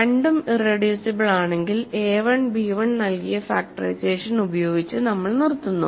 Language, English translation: Malayalam, If both are irreducible we stop with the factorization given by a1 b1